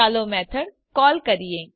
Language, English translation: Gujarati, Let us call the method